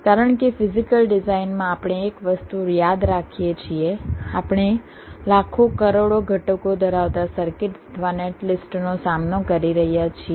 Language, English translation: Gujarati, because one thing we remember: in physical design we are tackling circuit or netlist containing millions of millions of components